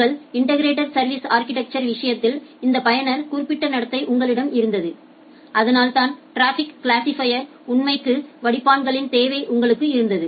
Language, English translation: Tamil, In case of your integrated service architecture you had this user specific behaviour, and that is why you had the requirement of the filterspec to configure the traffic classifier